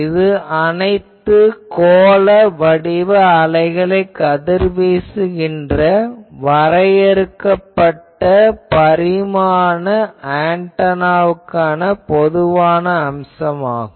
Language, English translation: Tamil, But if I have a finite dimension antenna, then that radiates spherical waves